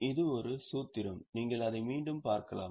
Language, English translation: Tamil, So, this is a formula once again you can have a look at it